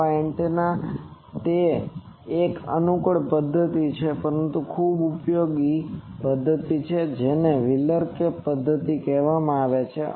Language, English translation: Gujarati, Small antennas it is it is an approximate method but very useful method it is called wheeler cap method